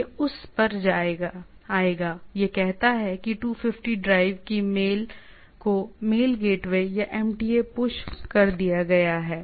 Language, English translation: Hindi, It will come to that, it says that 250 drive, that the mail has been pushed to the towards the mail gateway or the MTA